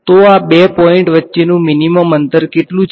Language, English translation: Gujarati, So, this the minimum distance between these two points is how much